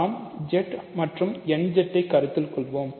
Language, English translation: Tamil, So, let us take Z and let us consider nZ